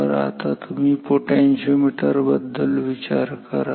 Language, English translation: Marathi, So, potentiometer right now you think of a potentiometer